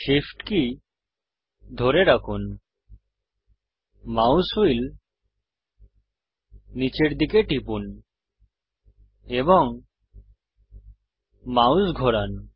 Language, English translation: Bengali, Hold shift, press down the mouse wheel and move the mouse